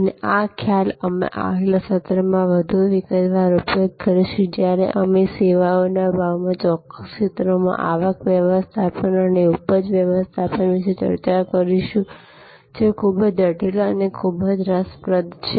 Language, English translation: Gujarati, And this concept, we will utilize in more detail in the next session, when we discuss about revenue management and yield management to particular areas in services pricing, which are quite intricate and quite interesting